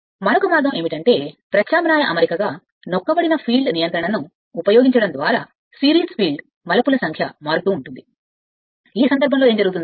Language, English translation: Telugu, Another way is that as an alternative arrangement, the number of series field turns are varied by employing a tapped field control, in this case what happen